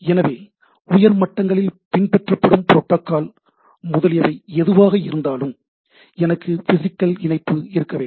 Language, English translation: Tamil, So, whatever may be the way of protocol etcetera followed at the high levels, I need to have some physical connection